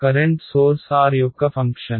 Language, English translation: Telugu, Current source is a function of r right